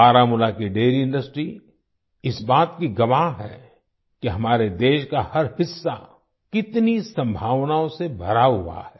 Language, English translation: Hindi, The dairy industry of Baramulla is a testimony to the fact that every part of our country is full of possibilities